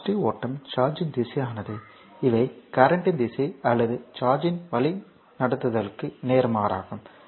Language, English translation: Tamil, So, the way the direction of the positive flow charge is these are the direction of the current or the opposite to the directive flow of the charge